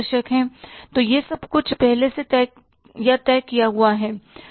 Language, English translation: Hindi, So, this everything is decided, pre decided or decided in advance